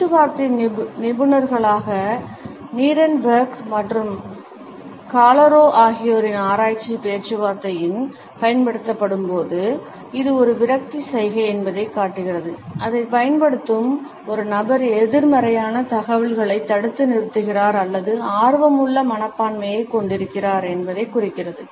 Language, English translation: Tamil, Research by Negotiation Experts Nierenberg and Calero has showed that it is also a frustration gesture when used during a negotiation, it signals that a person who is using it is holding back either a negative information or possesses and anxious attitude